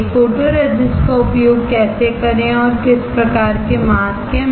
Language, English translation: Hindi, How to use a photoresist and what kind of masks are there